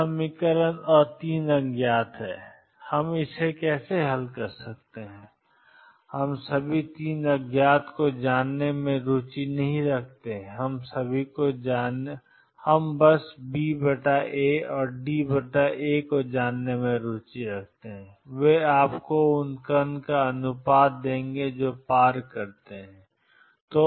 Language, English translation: Hindi, There are 2 equations and 3 unknowns how do we solve this we are not interested in knowing all 3 unknowns all we are interested in knowing what is B over A and D over A, they will give you the ratio of the particles that go across